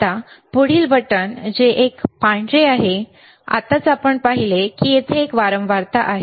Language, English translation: Marathi, Now, next button which is a white button, now we have seen this is a frequency here